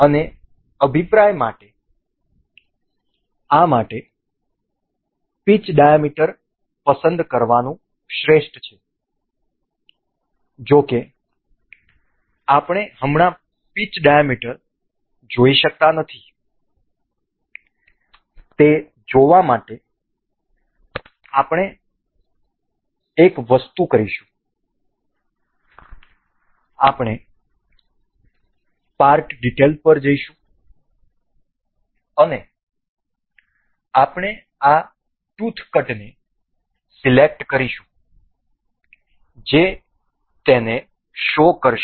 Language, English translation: Gujarati, And for pinion it is best to select the pitch diameter for this; however, we cannot see the pitch diameter as of now to see that we will do one thing, we will just we will go to the part details and we will select this tooth cut this tooth cut will make it show